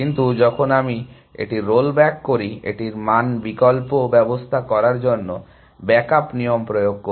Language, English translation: Bengali, But, when I it rolls back, it applies back up rule to back up the values